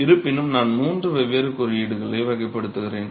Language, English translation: Tamil, However, I classify three different baskets of codes